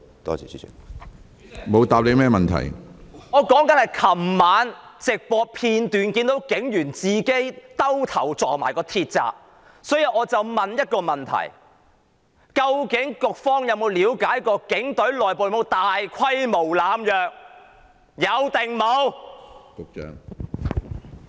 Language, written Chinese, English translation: Cantonese, 主席，我說的是我昨晚從直播片段看到有警員自己撞向鐵閘，所以我要問一個問題：究竟局方有否了解警隊內部有否大規模濫藥？, President what I said was last night I saw on live broadcast that a police officer bang himself against a metal gate . So I have to ask a question Has the Bureau actually looked into whether there exists large - scale drug abuse in the Police Force?